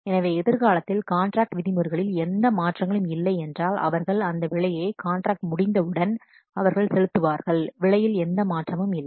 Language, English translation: Tamil, So if there are no changes in the contract terms in near future, then this price they will pay on completion of this contract